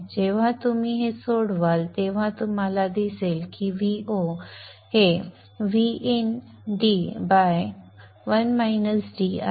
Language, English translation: Marathi, And when you solve this, you see that V0 is equal to minus VN d by 1 minus D